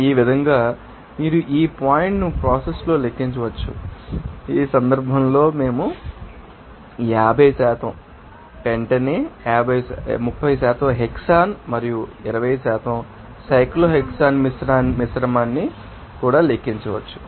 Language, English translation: Telugu, This way you can calculate this point in process similarly, we can also calculate the dew point pressure in this case the same you know mixture of 50% pentane, 30% hexane and 20% cyclohexane